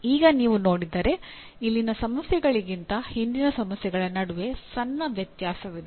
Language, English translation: Kannada, Now if you see there is a small difference between the earlier problems then the one here